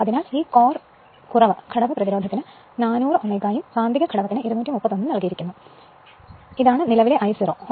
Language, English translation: Malayalam, So, this core less component resistance is given 400 ohm and magnetising component it is given 231 ohm this is the current I 0